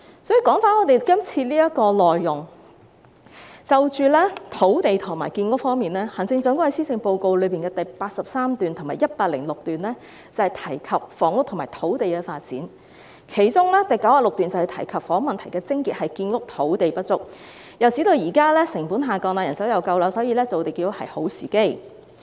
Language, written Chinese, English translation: Cantonese, 說回今天的議題，在土地和建屋方面，行政長官在施政報告第83段至第106段提到房屋和土地發展，其中第96段提及房屋問題的癥結是建屋土地不足，又指現在建築成本下降、人手充足，所以是造地建屋的好時機。, In respect of land and housing production the Chief Executive touched on housing and land development in paragraphs 83 to 106 of the Policy Address . In paragraph 96 she mentioned that the crux of the housing problem lies in the shortage of land for housing development . She added that with the present downward adjustment in construction costs and adequate manpower this is an excellent opportunity to move ahead with land creation and housing construction